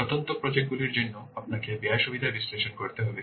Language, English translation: Bengali, For individual projects we have, you have to perform cost benefit analysis